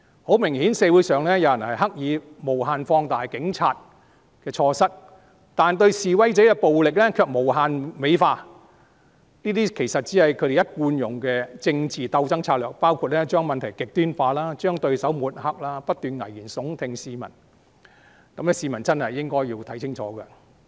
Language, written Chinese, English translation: Cantonese, 很明顯，社會上有人刻意無限放大警察的錯失，但對示威者的暴力卻無限美化，這些其實只是他們一貫使用的政治鬥爭策略，包括將問題極端化、將對手抹黑、不斷向市民危言聳聽，市民真的應該看清楚。, Obviously some people in the community are deliberately overstating the mistakes of the Police to an infinite extent while beautifying the violence of protesters unlimitedly . In fact these are the tactics they often use in political struggles . They will take things to extremes smear their opponents and raise alarmist talk continuously to the public